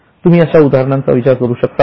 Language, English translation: Marathi, Can you think of any examples